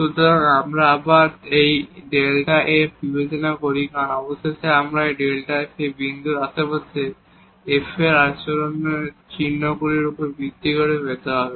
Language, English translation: Bengali, So, we consider again this delta f because, finally we need to get based on these sign of this delta f, the behavior of this f in the neighborhood of a point